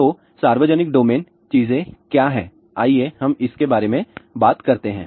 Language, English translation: Hindi, So, what are the public domain things, let us talk about that